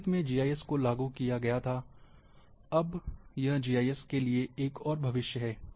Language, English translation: Hindi, The past was GIS applied to, this is another future for GIS